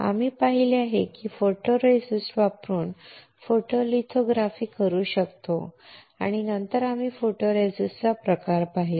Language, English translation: Marathi, We have seen that, we can perform the photolithography using photoresist and then we have seen the type of photoresist